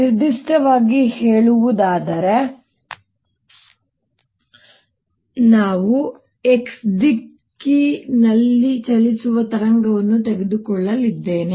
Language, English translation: Kannada, in particular, i am going to take a wave travelling in the x direction